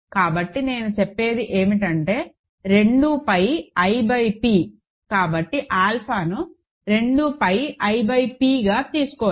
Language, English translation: Telugu, So, all I am saying is 2 pi i by p; so, alpha can be taken as 2 pi i by p